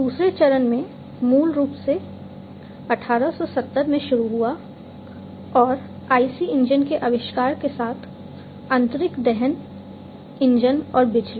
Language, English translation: Hindi, In the second stage, its the second stage basically started in 1870 and so on with the invention of the IC engines the internal combustion engines and electricity